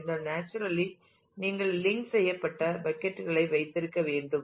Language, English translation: Tamil, Then naturally you need to have linked buckets